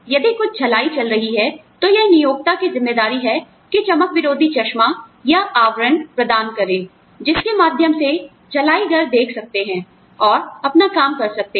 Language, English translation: Hindi, If there is some welding going on, it is the responsibility of the employer, to provide the antiglare glasses or screens, you know, through which the welders can see, and do their work